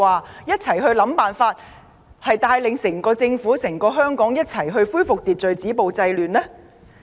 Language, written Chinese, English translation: Cantonese, 可有一起想辦法帶領整個政府、整個香港攜手恢復秩序、止暴制亂？, Have they put their heads together to find ways to lead the whole Government and the whole of Hong Kong to join hands and restore social order stop violence and curb disorder?